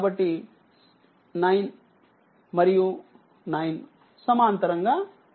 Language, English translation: Telugu, So, 9 and 9 they are in parallel